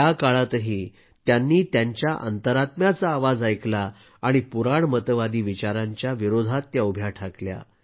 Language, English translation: Marathi, Even during that period, she listened to her inner voice and stood against conservative notions